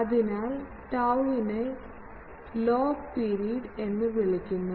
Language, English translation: Malayalam, So, tau is called the log period you will see this